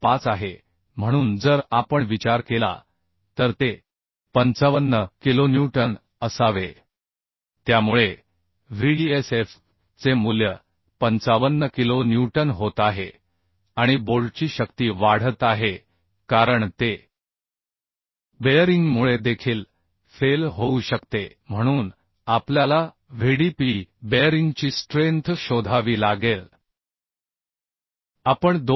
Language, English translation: Marathi, 25 so if we consider then it will be 55 kilonewton So Vdsf value is becoming 55 kilo newton and strength of bolt in bearing because it it may fail due to bearing also so we have to find out the strength of bearing Vdpb that we can find out as 2